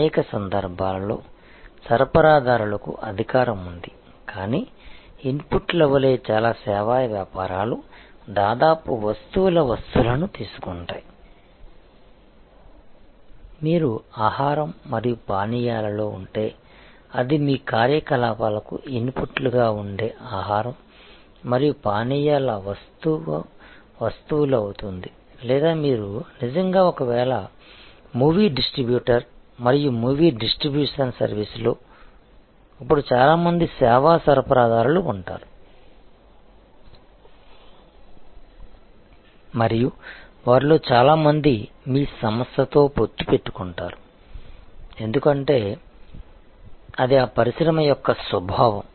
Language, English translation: Telugu, Suppliers in many cases have power, but since many service businesses as inputs take almost commodity items, like if you are in food and beverage then it will be the food and beverage commodity items which will be inputs to your operations or if you are actually a movie distributor and in a movie distribution service, then there will be a number of service suppliers and many of them will be in alliance with your organization, because that is the nature of that industry